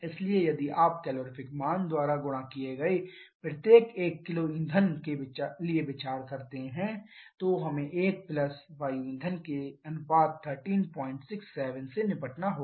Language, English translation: Hindi, So, if you consider the for every 1 kg of fuel into the calorific value we have to deal with 1 plus the air fuel ratio is 13